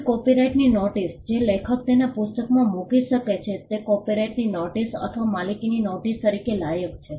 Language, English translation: Gujarati, A copyright notice which an author can put in his or her book qualifies as a notice of copyright or notice of ownership